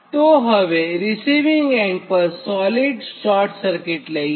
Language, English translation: Gujarati, so this one next, for a solid short circuit